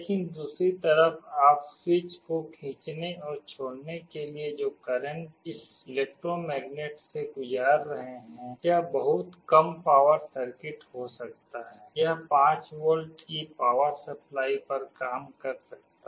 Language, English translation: Hindi, But on the other side the current that you are passing through this electromagnet to pull and release the switch, this can be a very low power circuit, this can be working at 5 volts power supply